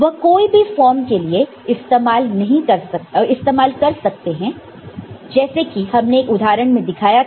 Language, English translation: Hindi, It can be used for other form as well any form like what we had shown as an example